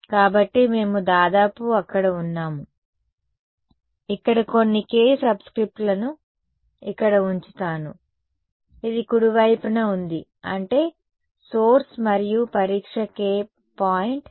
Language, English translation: Telugu, So, we are almost there; so, let me put a few subscripts here this K over here, this is a on a right; that means, the source and the testing point were A and A